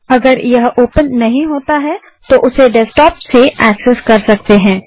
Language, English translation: Hindi, If it doesnt open, you can access it from the desktop